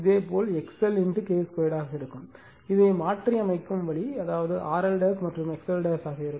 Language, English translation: Tamil, Similarly, it will be X L into K square the way you have transformed this, that is you R L dash and that will your X L dash